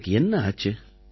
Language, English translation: Tamil, What had happened to you